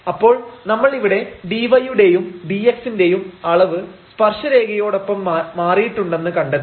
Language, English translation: Malayalam, So, we have also noted here that dy and dx dy and this dx measure changes along the tangent line